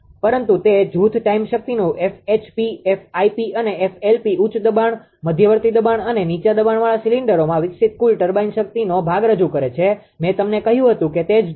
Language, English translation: Gujarati, But the faction of power that F HP, F IP and F LP represent portion of the total turbine power developed in the high pressure, intermediate pressure and low pressure cylinders right see in that that that I told you